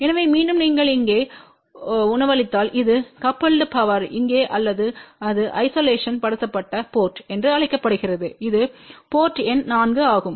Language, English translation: Tamil, So, again so if you are feeding it over here this is the coupled power which is going through here or this is known as isolated port which is port number 4